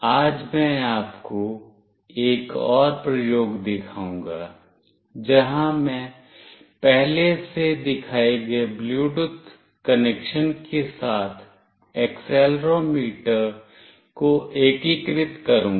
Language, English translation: Hindi, Today, I will show you another experiment, where I will integrate accelerometer along with the Bluetooth connection that I have already shown